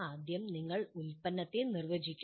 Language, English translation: Malayalam, First we define the product